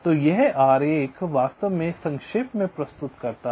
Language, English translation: Hindi, ok, so this diagram actually summarizes so exactly what i worked out